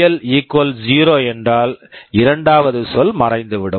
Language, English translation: Tamil, So, if VL = 0, the second term will disappear